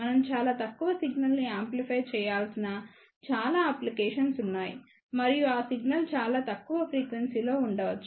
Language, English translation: Telugu, There are many applications where we have to amplify a very low signal and that signal maybe at a very low frequency